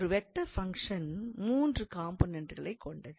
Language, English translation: Tamil, So, of course a vector function has three components, so we write it in this way